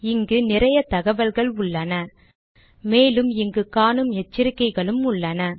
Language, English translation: Tamil, There is a lot of information, as well as these warnings which appear here as well